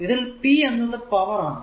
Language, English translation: Malayalam, So, this is actually p is a power